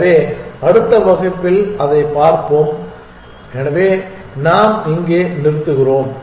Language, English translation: Tamil, So, we will look at that in the next class, so we stop here